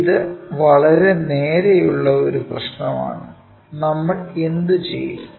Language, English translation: Malayalam, This is pretty straight forward problem, what we will do